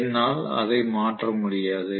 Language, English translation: Tamil, I just cannot change it